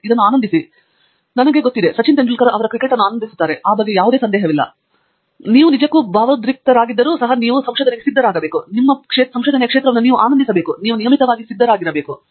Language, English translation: Kannada, You might enjoy it, I am sure; Sachin Tendulkar enjoyed his cricket, there is no doubt about it, but it involves an equal amount of routine, and you have to be ready for that even if you really are passionate and you enjoy your area, you have to be ready for the routine